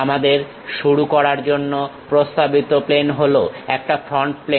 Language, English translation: Bengali, Recommended plane to begin is for us front plane